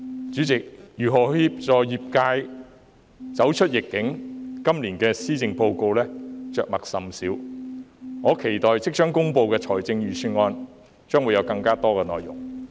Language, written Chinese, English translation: Cantonese, 主席，如何協助業界走出疫境，今年的施政報告着墨甚少，我期待即將公布的財政預算案會有更多內容。, President the Policy Address this year has not said much on how to assist the sector to tide over the epidemic . I expect that the Budget to be announced soon will have more to say about in this regard